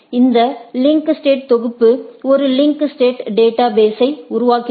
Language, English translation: Tamil, The collection of these links link states form a link state database